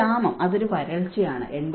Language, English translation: Malayalam, The famine which is a drought is 86